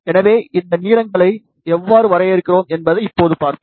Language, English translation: Tamil, So, let us see now, how we define these lengths